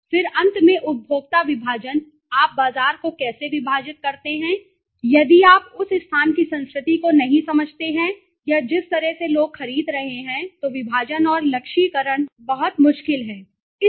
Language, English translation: Hindi, Then finally the consumer segmentation how do you segment the market if you do not understand the culture of that place or the you know the way people are buying then segmentation and targeting becomes very difficult and even in positioning okay